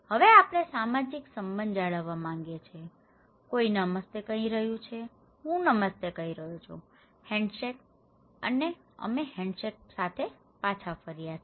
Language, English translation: Gujarati, Now, we want to maintain that social relationship, somebody is saying Namaste, I am saying Namaste, okay, handshake; we are returning with handshake